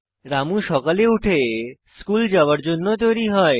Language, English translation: Bengali, Ramu gets up in the morning and starts getting ready for school